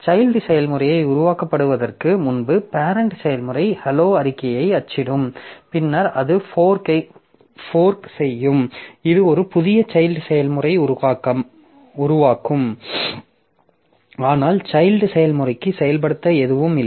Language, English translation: Tamil, So, this program, so you see that before the child process is created, the parent process will print the hello statement and it will after that it will fork, it will create a new child process but child process does not have anything more to execute